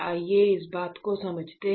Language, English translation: Hindi, So, let us understand